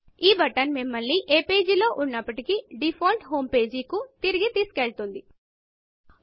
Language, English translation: Telugu, This button takes you back to the default home page, from whichever webpage you are on